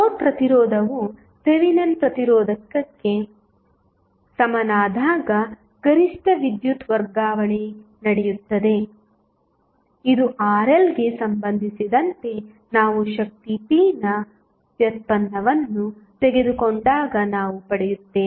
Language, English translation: Kannada, The maximum power transfer takes place when the load resistance is equal to Thevenin resistance this we derived when we took the derivative of power p with respect to Rl which is variable